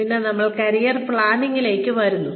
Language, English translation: Malayalam, And then, we come to Career Planning